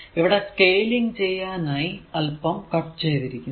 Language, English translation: Malayalam, Here little bit has been cut for scanning